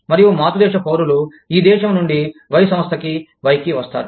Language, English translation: Telugu, And, the parent country nationals, from this country, come to Y, Firm Y